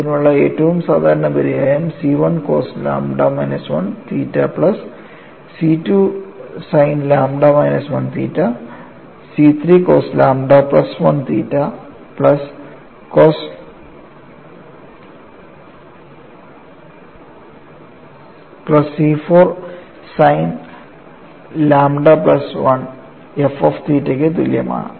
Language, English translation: Malayalam, So, I get the second expression as C 1 cos lambda minus 1 alpha minus C 2 sin lambda minus 1 alpha plus C 3 cos lambda plus 1 alpha minus C 4 sin lambda plus 1 alpha that is equal to 0